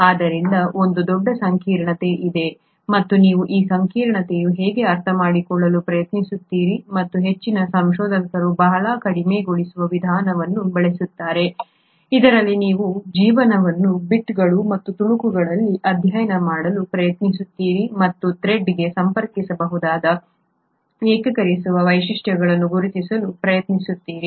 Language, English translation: Kannada, So there is a huge complexity and how do you try to understand this complexity, and most of the researchers use a very reductionist approach, wherein you try to study life in bits and pieces and try to identify the unifying features which can connect to this thread of life